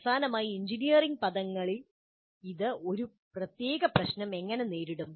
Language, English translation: Malayalam, And finally, how does it get a specific problem in engineering terms